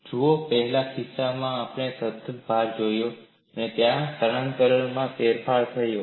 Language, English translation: Gujarati, See, in the first case where we saw constant load, there was a change in the displacement